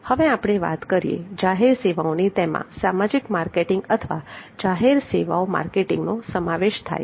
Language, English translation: Gujarati, then we come to public services like social marketing or public services marketing